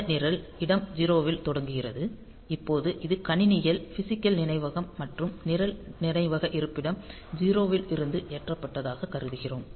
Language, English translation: Tamil, And this program is starting at location 0; now if this is my ultimately the computers physical memory and if I assume that the program is loaded from memory location 0